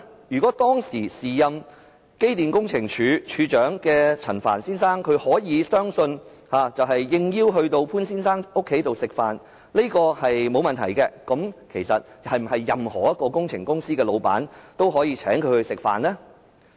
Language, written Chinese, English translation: Cantonese, 如果當時時任機電工程署署長的陳帆先生相信，他應邀到潘先生家裏聚餐沒有問題，是否任何工程公司的老闆都可以請他吃飯？, If Mr Frank CHAN the then Director of Electrical and Mechanical Services believed that it was alright to accept Mr POONs invitation to have dinner at his home would it mean that any owners of engineering company could invite him for dinner?